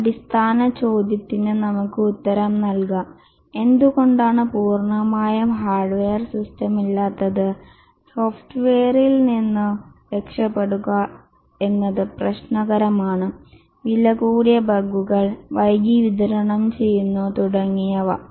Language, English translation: Malayalam, Let's answer this very basic question that why not have an entirely hardware system, get rid of software, it's problematic, expensive, lot of bugs, delivered late, and so on